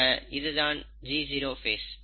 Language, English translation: Tamil, So, this is the G0 phase